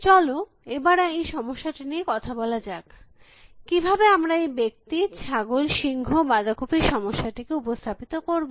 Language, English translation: Bengali, Let us talk about this problem, how do we represent this man, goats, lion, cabbage problem